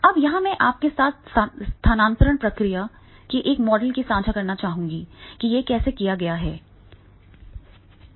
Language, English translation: Hindi, Now here I would like to share with you a model of the transfer process that how it is to be done